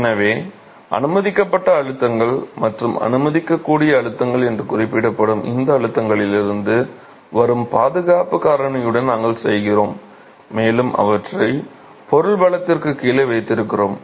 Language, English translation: Tamil, So, we work with a factor of safety that comes from these stresses referred to as the permissible stresses or the allowable stresses and we keep them significantly below the material strengths